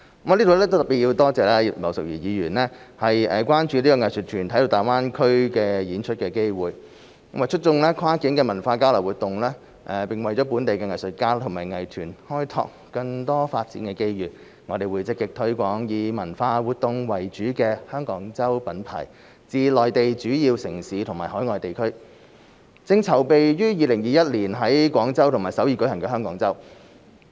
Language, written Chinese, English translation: Cantonese, 在此我要特別多謝葉劉淑儀議員關注藝術團體在大灣區演出的機會，為促進跨境文化交流活動，並為本地藝術家及藝團開拓更多發展的機遇，我們會積極推廣以文化活動為主的"香港周"品牌至內地主要城市和海外地區，正籌備於2021年在廣州和首爾舉行的"香港周"。, At this juncture I would like to particularly thank Mrs Regina IP for her concern about the opportunities for arts groups to perform in the Greater Bay Area . In order to promote cross - border cultural exchange activities and explore more development opportunities for local artists and arts groups we will actively promote the Hong Kong Week brand which centres on cultural activities in major Mainland cities and overseas regions . We are preparing for the Hong Kong Week to be held in Guangzhou and Seoul in 2021